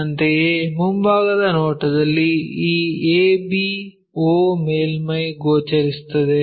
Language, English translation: Kannada, Similarly, in the front view this ab o surface will be visible